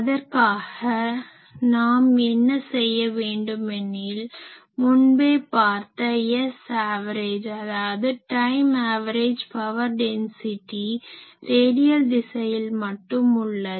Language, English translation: Tamil, So, for that what we can do we have already seen that S average, these the time average power density that is only directed in radial direction